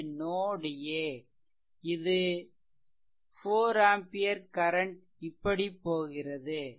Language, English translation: Tamil, So, this 4 ampere current is going like these